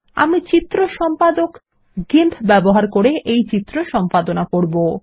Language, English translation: Bengali, I am using the picture editor GIMP to edit this picture